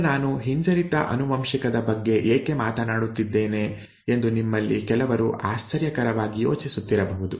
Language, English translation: Kannada, Now, some of you might have been wondering why did I keep harping on recessively inherited, okay